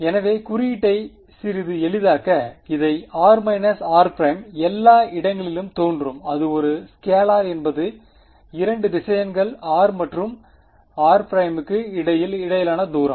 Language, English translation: Tamil, So, just to make the notation a little bit easier this r minus r prime that appears everywhere it is a scalar is just a distance is the distance between 2 vectors r and r prime